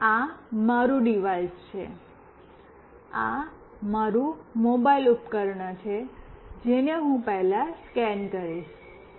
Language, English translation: Gujarati, Now, this is my device, this is my mobile device, which I will be scanning first